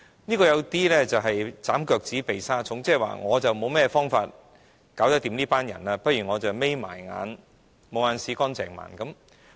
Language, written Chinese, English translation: Cantonese, 這有點"斬腳趾避沙蟲"，即我沒有方法應付這些人，倒不如閉上眼睛"無眼屎乾淨盲"。, This is trimming the toes to fit the shoes there is no way to deal with these people so just turn a blind eye to them